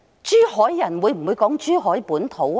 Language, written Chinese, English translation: Cantonese, 珠海人會否說"珠海本土"呢？, Will Zhuhai people advocate Zhuhai localism?